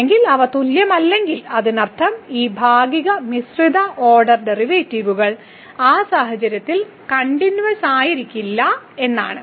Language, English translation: Malayalam, Or if they are not equal that means these partial mixed partial order derivatives are not continuous in that case